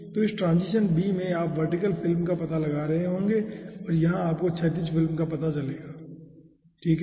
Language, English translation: Hindi, okay, so in this transition b, you will be finding out vertical film and here you will be finding out horizontal film